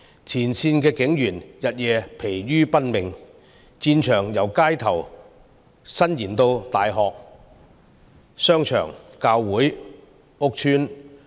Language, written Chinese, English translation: Cantonese, 前線警員日夜疲於奔命，戰場由街頭伸延至大學、商場、教會和屋邨。, Frontline police officers are exhausted working day and night . The battlegrounds have extended from the streets to universities shopping malls churches and housing estates